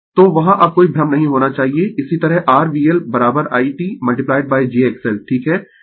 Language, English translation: Hindi, So, there should not be any confusion now, similarly your V L is equal to I t into j X L right